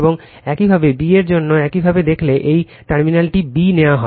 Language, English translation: Bengali, And similarly, for b dash if you look, this terminal is taken b